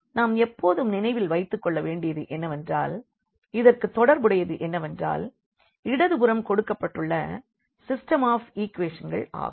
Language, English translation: Tamil, We should always keep in mind that corresponding to this we have actually the system of equations you are given in the left